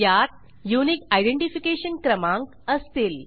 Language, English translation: Marathi, This will contain the Unique Identification number